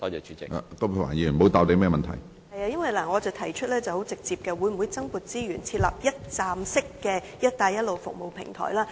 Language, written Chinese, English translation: Cantonese, 是的，因為我很直接地提出，會否增撥資源，設立一站式的"一帶一路"服務平台？, Yes because I asked very directly if more resources will be allocated to setting up a one - stop Belt and Road service platform